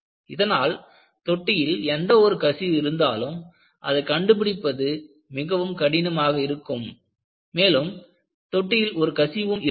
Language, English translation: Tamil, The result is, even if there is a leak, it will be very difficult to spot, if there is a leak in the tank